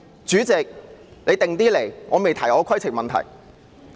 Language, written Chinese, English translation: Cantonese, 主席，你不用緊張，我仍未提出我的規程問題。, President just relax . I have yet to raise my point of order